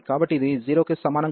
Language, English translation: Telugu, So, this is greater than equal to 0